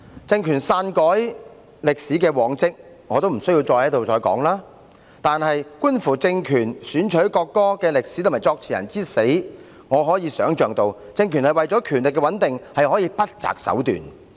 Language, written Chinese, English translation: Cantonese, 政權篡改歷史的往績，無須我在此多談，但觀乎政權選取國歌的歷史和作詞人之死，我可以想象到，政權為了權力的穩定，可以不擇手段。, There is no need for me to speak further on the track record of the regime in altering history . But in view of the history of the selection of the national anthem by the regime and the death of the lyricist I can well imagine that the regime can resort to every possible means for the sake of its stability